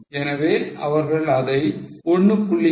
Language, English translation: Tamil, So, now 1